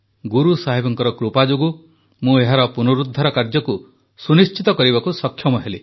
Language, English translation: Odia, It was the blessings of Guru Sahib that I was able to ensure its restoration